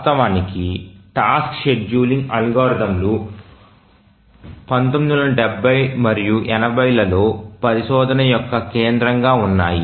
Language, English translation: Telugu, Actually, task scheduling algorithms were the focus of the research in the 1970s and 80s